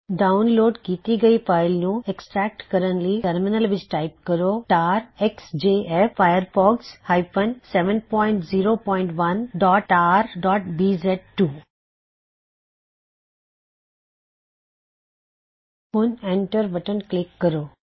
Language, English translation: Punjabi, Extract the contents of the downloaded file by typing the following command#160:tar xjf firefox 7.0.1.tar.bz2 Now press the Enter key